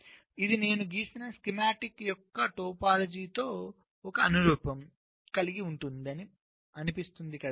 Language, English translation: Telugu, this as a correspondence with the topology of the schematic which i have drawn this one right